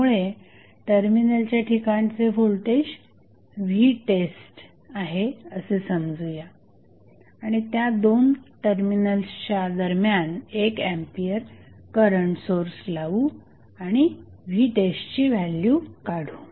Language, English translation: Marathi, So, let us say the voltage across terminal is V test and we apply 1 ampere current source across these 2 terminals and find out the value of V test